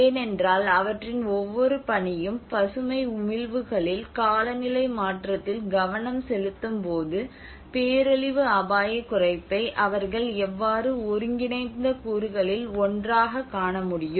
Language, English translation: Tamil, Because their each mission is focused on the green emissions, on climate change, in but how they are able to see the disaster risk reduction as one of the integral component within it